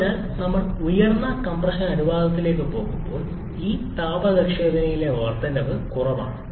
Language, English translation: Malayalam, So, as we go to higher compression ratio, the incremental increase in this thermal efficiency is lower